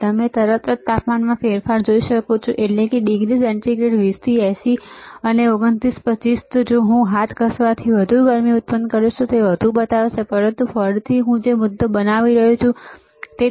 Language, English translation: Gujarati, You can immediately see the change in the in the temperature, that is degree centigrade right from 20 to 80 and to 29, 25 if I generate more heat by rubbing the hand it will even show more, but again the point that I am making is there is a provision of measuring a temperature, there is a provision of measuring frequency